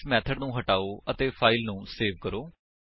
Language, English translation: Punjabi, So, remove this method and Save the file